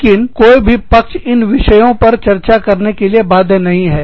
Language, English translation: Hindi, But, neither party is obliged, to bargain on, these topics